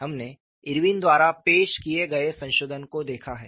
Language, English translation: Hindi, And how do you get Irwin’s modification